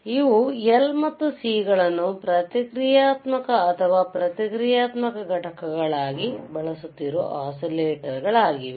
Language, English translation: Kannada, So, these are the oscillator that are using L and C as reactances or reactive components these are reactive components